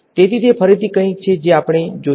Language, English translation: Gujarati, So, that is again something we will see